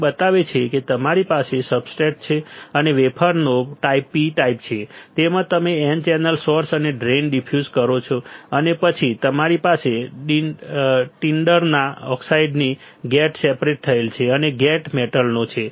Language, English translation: Gujarati, It shows that you have a substrate and the type of wafer is P type, in that you have diffused n channel source and drain right and then you have a gate separated by a tinder of oxide and gate is a metal right